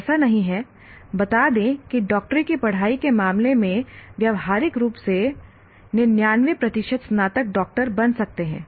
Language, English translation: Hindi, It is not like, let's say in the case of medicine, practically maybe 99% of the graduates of medicine will become doctors